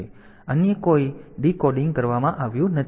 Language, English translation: Gujarati, So, the there is no other decoding done